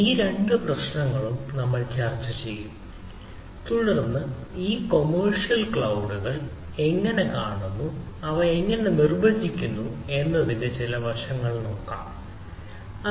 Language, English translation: Malayalam, so we will discuss this two problem and then try to look at some of the aspects of how somehow this commercials cloud another things and clouds look at the, how they define so like a